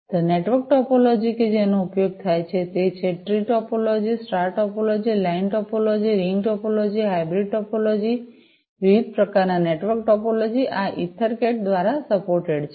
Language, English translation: Gujarati, The network topology that is used are the tree topology, the star topology, line topology, ring topology, hybrid topology, different types of network topologies are supported by EtherCAT